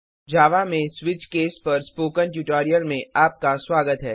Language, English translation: Hindi, Welcome to the spoken tutorial on Switch case in Java